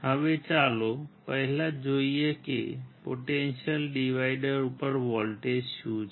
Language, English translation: Gujarati, Now, let us first see what is the voltage across the potential divider